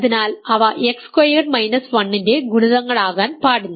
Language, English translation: Malayalam, So, they cannot possibly be multiples of X squared minus 1